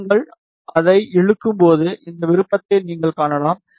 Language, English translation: Tamil, When you drag it, you see this option